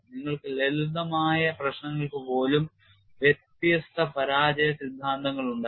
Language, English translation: Malayalam, And you had even for simple problems, you had different failure theories